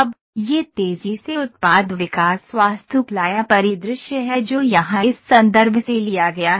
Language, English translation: Hindi, Now, this is the rapid products development architecture or scenario that is taken from this reference here